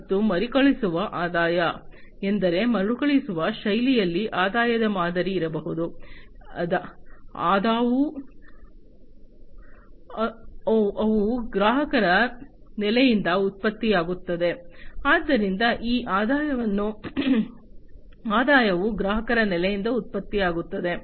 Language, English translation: Kannada, And recurring revenues means, like there could be a revenue model from which in a recurring fashion, the revenues are generated from the customer base